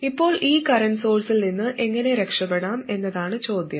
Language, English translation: Malayalam, Now the question is how do I get rid of this current source